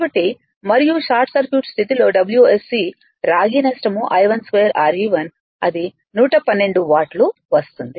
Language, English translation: Telugu, So, and your WSC that under short circuit condition the copper loss I 1 square Re 1 it is coming 112 watt